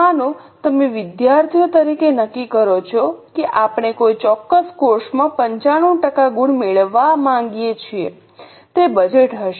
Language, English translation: Gujarati, Suppose you as students decide that we want to get 95% score in a particular course